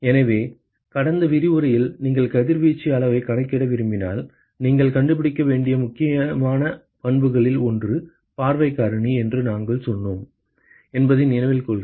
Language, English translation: Tamil, So, remember that in last lecture, we said that one of the crucial properties that you need to find out if you want to calculate the radiation extent is the view factor